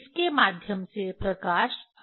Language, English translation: Hindi, Light is coming through it